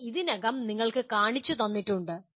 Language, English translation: Malayalam, It has been already shown to you